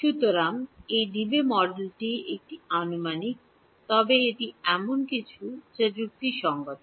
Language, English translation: Bengali, So, this Debye model is an approximation, but it is something which is reasonable because